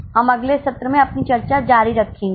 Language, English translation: Hindi, We will continue over discussion in the next session